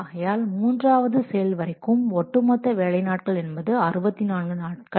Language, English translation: Tamil, So up to the third activity, the cumulative work day is 64 days